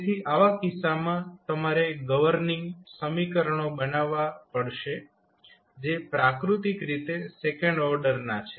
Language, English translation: Gujarati, So, in those case you need to create the governing equations which are the second order in nature